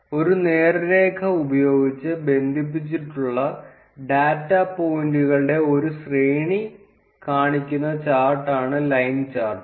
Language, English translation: Malayalam, Line chart is the chart which shows series of data points that are connected using a straight line